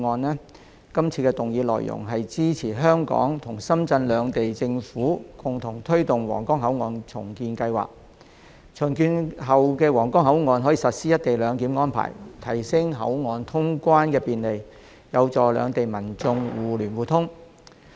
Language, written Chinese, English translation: Cantonese, 是項議案的內容是支持香港與深圳兩地政府共同推動皇崗口岸重建計劃，並在重建後的皇崗口岸實施"一地兩檢"安排，提升口岸通關便利，有助兩地民眾互聯互通。, The motion seeks support for the Hong Kong Government to collaborate with the Shenzhen Municipal Government to press ahead the redevelopment of the Huanggang Port and to implement co - location arrangement at the redeveloped Huanggang Port with a view to enhancing travel convenience of passengers and promoting efficient flow of and connectivity between people in the two places